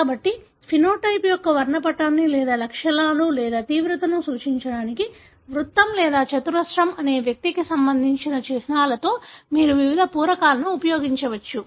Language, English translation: Telugu, So, you can use different filling in, in the symbols for individual, whether circle or square to denote the spectrum of phenotype or the symptoms or severity